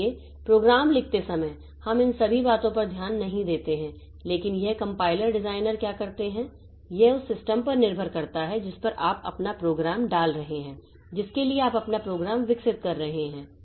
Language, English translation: Hindi, So, while writing programs so we do not take into consideration all these things but what this compiler designers do is that they into they for depending on on the system onto which you are putting your program for which you are developing your program